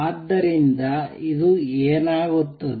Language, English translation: Kannada, So, this is what would happen